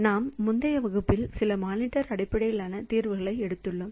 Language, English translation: Tamil, So, in in our previous classes so we have taken the some monitor based solutions